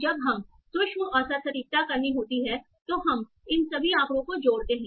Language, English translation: Hindi, So now when we have to do micro average precision, we combine all these statistics